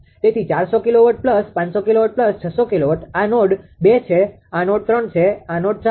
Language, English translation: Gujarati, So, 400 kilowatt plus 500 kilowatt plus 600 kilowatt; these are node 2, these are node 3, these are node 4